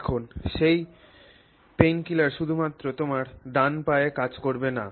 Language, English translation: Bengali, Now that painkiller is not going to act only on your right leg